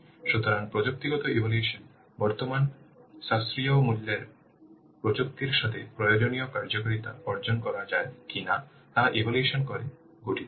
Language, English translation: Bengali, So, the technical assessment consists of evaluating whether the required functionality can be achieved with current affordable technologies